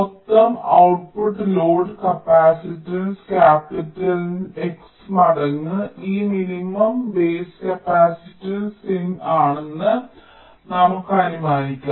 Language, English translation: Malayalam, ok, so lets assume that the total output load capacitance is capital x times this minimum base capacitance, c in